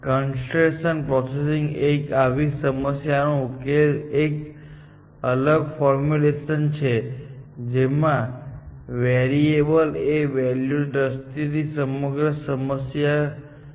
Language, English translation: Gujarati, Constrain processing is just a different formulation of solving such problems in which, you formulate the entire problem in terms of variables, and values, that variable can take, essentially